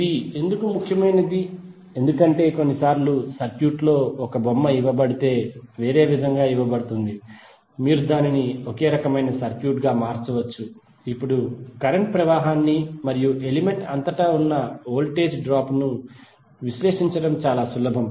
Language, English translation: Telugu, Why it is important because sometimes in the circuit if it is given a the figure is given in a different way you can better convert it into a similar type of a circuit where it is very easy to analysis the current flow and the voltage drop across the element